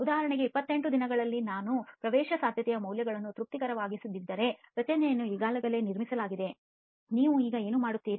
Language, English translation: Kannada, For example if at 28 days I do not make the permeability values satisfactorily the structure is already been build, what do you do with it